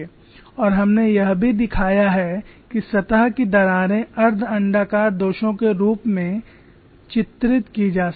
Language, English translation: Hindi, We have also shown surface cracks can be modeled as semi elliptical